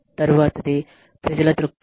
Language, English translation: Telugu, So, people perspective